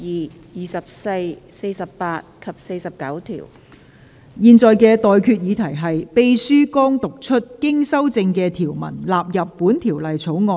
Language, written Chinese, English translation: Cantonese, 我現在向各位提出的待決議題是：秘書剛讀出經修正的條文納入本條例草案。, I now put the question to you and that is That the clauses as amended just read out by the Clerk stand part of the Bill